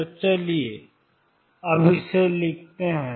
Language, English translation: Hindi, So, let us write this now